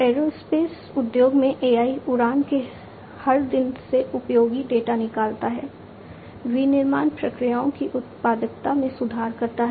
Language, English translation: Hindi, AI in the aerospace industry extracting useful data from every day of flight, improving productivity of manufacturing processes